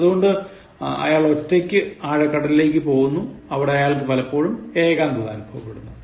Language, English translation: Malayalam, So, he goes alone into the deep sea and he sometimes even feels lonely